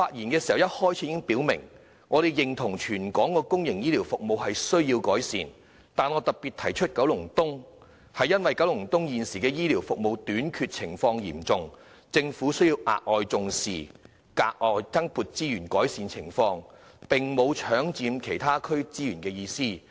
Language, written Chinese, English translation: Cantonese, 我在發言開始時已表明，我們認同全港公營醫療服務需要改善，但我特別提出九龍東，是因為該區現時的醫療服務短缺情況嚴重，政府需要額外重視，並增撥資源改善情況，並沒有搶佔其他區的資源的意思。, Actually I made it clear in my opening speech that we agreed that the territory - wide public healthcare services needed improvement but I pointed out Kowloon East in particular because it was facing an acute shortage of healthcare services . As a result it is necessary for the Government to pay extra attention and allocate additional resources to ameliorate the situation . I have absolutely no intention of snatching resources from other districts